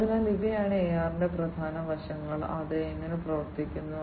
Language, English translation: Malayalam, So, these are the key aspects of AR and how it works